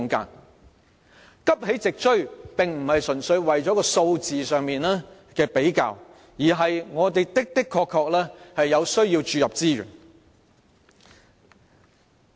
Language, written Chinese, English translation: Cantonese, 要急起直追，並非純粹是數字上的比較，而是我們確實有需要注入資源。, In order to promptly catch up we should not purely focus on comparing figures . Rather it is indeed necessary to inject resources into education